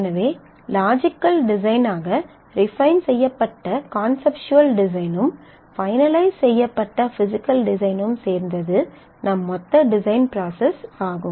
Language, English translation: Tamil, So, conceptual design refined into logical design finalized with physical design is our gross process of design